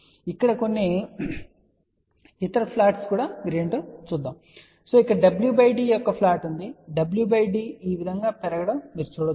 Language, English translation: Telugu, Now, let just look at what are the other plots here, so here was the plot of w by d w by d is increasing this way you can see that